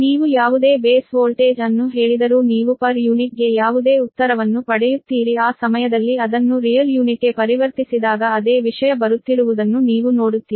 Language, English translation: Kannada, ah, whatever, whatever your base voltage, you say whatever answer you get in per unit or you will converted to real unit at the ten, you will see the same thing is coming right